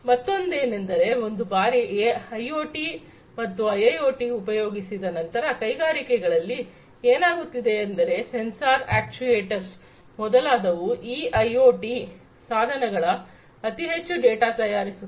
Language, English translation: Kannada, The other one is that once you have used IoT and IIoT, etcetera in the industries; what is happening is these sensors actuators, etcetera from these IoT devices are going to throw in lot of data